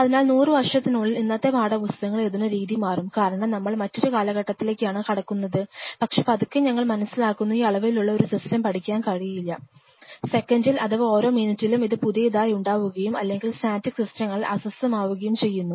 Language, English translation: Malayalam, So, 100 years round the line probably the way today's text books are written those will change because, those will change because we are assuring into a very in different time, but slowly we are realizing that we cannot study a system of this magnitude where every second or every minute the milieu is getting fresh and up or getting perturbed by static systems, not only that